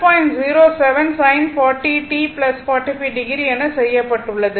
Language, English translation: Tamil, 07 sin 40 t plus 45 degree